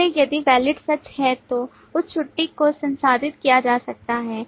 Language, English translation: Hindi, So if Is Valid is true, then that leave can be processed